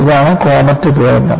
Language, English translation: Malayalam, This is a comet disaster